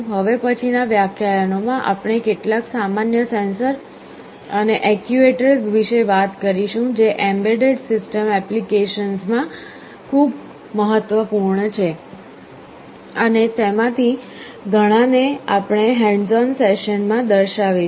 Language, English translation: Gujarati, In the next lectures, we shall be talking about some of the common sensors and actuators that are very important in embedded system applications, and many of them we shall be actually demonstrating through the hands on sessions